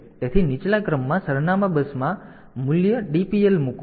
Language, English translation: Gujarati, So, in the lower order address bus put the value DPL